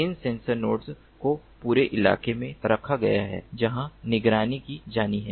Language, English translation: Hindi, these sensor nodes are placed all over in the terrain where monitoring has to be done